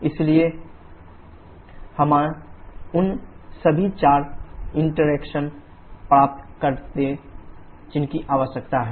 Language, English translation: Hindi, So, we have obtained all the four interaction that required